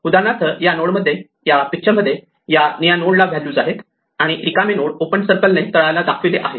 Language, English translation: Marathi, In this node, for example, in this picture the blue nodes are those which have values and the empty nodes are indicated with open circles at the bottom